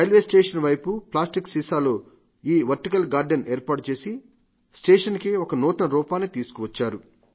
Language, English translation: Telugu, And by creating this vertical garden on the site of railway station, they have given it a new look